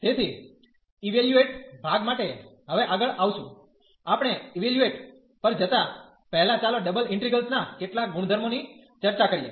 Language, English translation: Gujarati, So, coming further now for the evaluation part, before we go to the evaluation let us discuss some properties of the double integrals